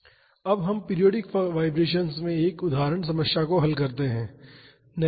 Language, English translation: Hindi, Now, let us solve an example problem in periodic vibrations